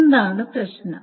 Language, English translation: Malayalam, That's the thing